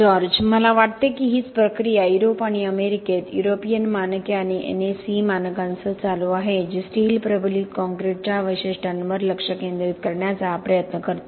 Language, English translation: Marathi, I think that is the process that is sort of been going on in Europe and America with the European Standards and the NACE Standards which tries to concentrate on the specifics of steel reinforced concrete